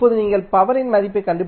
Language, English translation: Tamil, How will you find out the value of power p